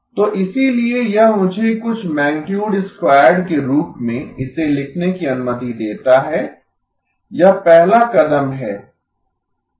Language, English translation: Hindi, So therefore it allows me to write it as something magnitude squared that is a step one